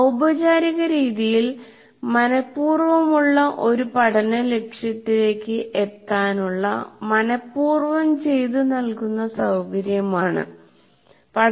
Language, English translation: Malayalam, In a formal way, instruction, it is the intentional facilitation of learning toward an identified learning goal